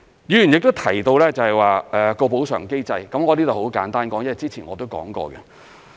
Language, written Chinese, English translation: Cantonese, 議員亦提到補償機制，我在這裏很簡單說，因為我之前亦已經談過。, Members have also talked about the compensation mechanism . I am going to briefly talk about it now because I have talked about it before